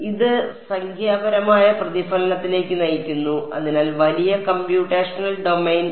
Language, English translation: Malayalam, So, it leads to numerical reflection therefore, larger computational domain